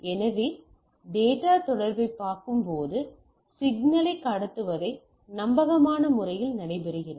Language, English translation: Tamil, So, data communication as we see transmission of signals in a reliable effective manner